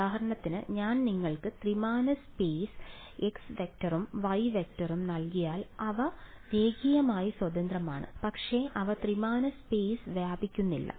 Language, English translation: Malayalam, So for example, if I give you three dimensional space x vector and y vector they are linearly independent, but they do not span three dimensional space